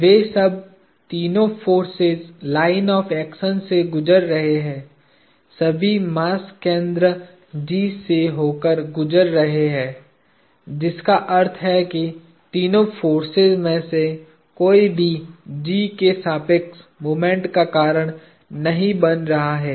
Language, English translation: Hindi, They are all passing; the lines of action of the three forces are all passing through the center of mass G; which means neither of the three forces is causing a moment about G